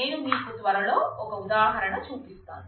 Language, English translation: Telugu, I will just show you an example soon so that